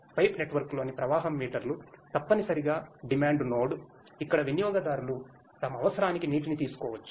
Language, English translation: Telugu, Flow meters in a pipe network is essentially the demand node from where consumers can take the water for their necessity